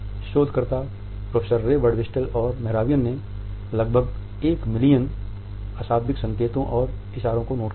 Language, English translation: Hindi, These researchers, Professor Ray Birdwhistell and Mehrabian noted and recorded almost a million nonverbal cues and signals